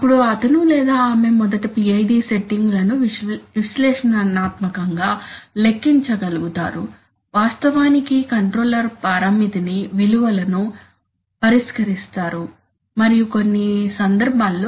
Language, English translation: Telugu, Then he or she would be able to compute PID settings analytically first, actually solving out the controller parameter values and in some cases where